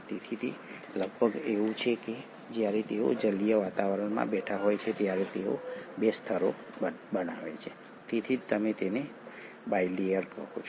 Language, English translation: Gujarati, So it is almost like when they are sitting in an aqueous environment they end up forming 2 layers, that is why you call it as a bilayer